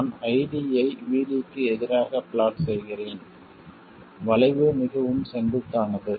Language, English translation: Tamil, I am plotting ID versus VD and the curve is very steep